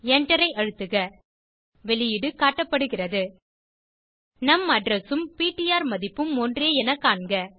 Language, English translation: Tamil, Press Enter The output is displayed We see that the num address and ptr value is same